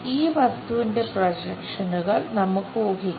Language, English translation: Malayalam, Let us guess projections for this object